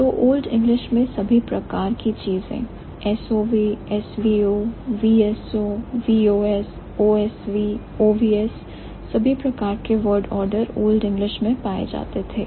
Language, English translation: Hindi, So, the Old English had all kinds of things, S O V O V O V S O V O S, O S V O S, all kinds of Worderda was found in the Old English